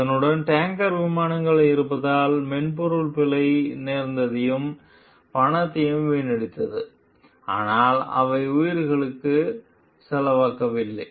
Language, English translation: Tamil, Because of the accompanying tanker planes the software bug wasted time and money, but they did not cost lives